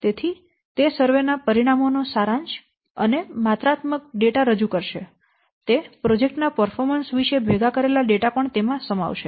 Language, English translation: Gujarati, So then subsequently it will present the summary of the survey results and the quantitative data those are gathered about the project's performance